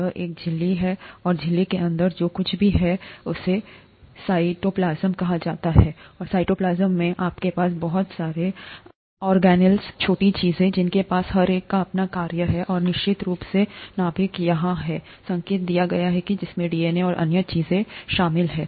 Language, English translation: Hindi, This has a membrane, and inside the membrane whatever is there is called the cytoplasm, and in the cytoplasm you have a lot of organelles, small small small things, that have, each one has their own function, and of course the nucleus is here, indicated here which contains DNA and other things, okay